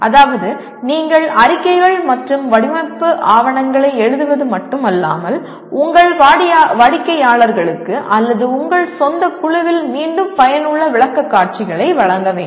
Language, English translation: Tamil, That is you should not only write reports and design documentation and make effective presentations to again your customers or within your own group